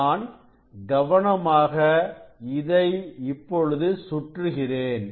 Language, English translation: Tamil, Now I have to I have to very carefully rotate